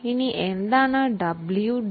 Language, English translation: Malayalam, Now, what is wdv